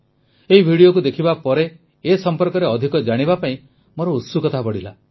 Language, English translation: Odia, After watching this video, I was curious to know more about it